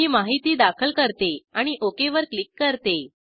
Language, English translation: Marathi, I will enter the information and click on OK